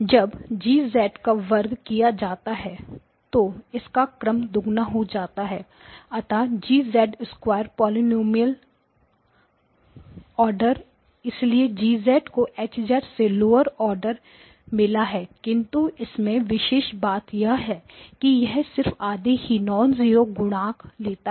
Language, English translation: Hindi, But G of z squared that means the order becomes double right when I write G of z squared the polynomial order so G of z has got lower order than H of z but G of z squared I cannot make an argument but the advantages it has got only half the number of non zero coefficients